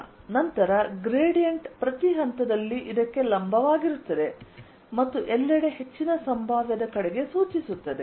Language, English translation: Kannada, one, then gradient will be perpendicular to this at each point and pointing towards higher potential everywhere